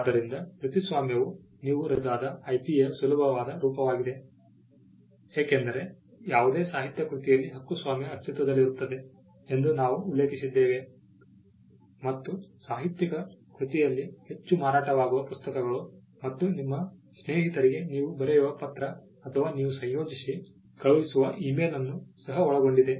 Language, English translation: Kannada, So, an copyright is the easiest form of IP that you can create because, we are just mentioned that copyright can exist in any literary work and literary work includes bestselling books as well as the letter that you write to your friend or an email that you compose and send it to your colleague